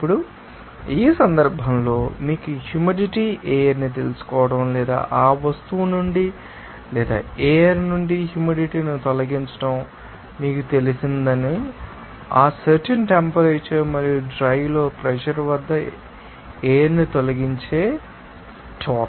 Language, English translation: Telugu, Now, in this case, since dryer is used to you know moisture air or remove the moisture from that object or from the air you know that now, how was the amount of actually what air is removed at that particular temperature and pressure in the dry air